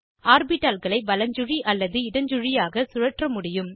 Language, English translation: Tamil, We can rotate the orbitals clockwise or anticlockwise